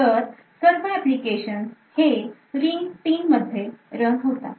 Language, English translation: Marathi, So, all the applications are running in ring 3